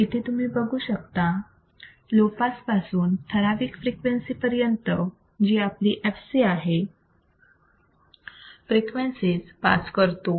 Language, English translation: Marathi, You can see here in this particular condition low pass from 0 to certain frequency that is our fc, it will pass the frequencies